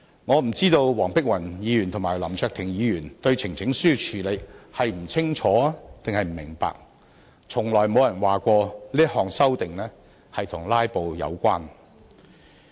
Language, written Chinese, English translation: Cantonese, 我不知道黃碧雲議員和林卓廷議員對呈請書的交付處理是不清楚還是不明白，亦從來沒有人說過這項修訂與"拉布"有關。, I do not know whether Dr Helena WONG and Mr LAM Cheuk - ting are unclear about or do not understand the referral of a petition . Besides no one has ever suggested that this amendment is related to filibustering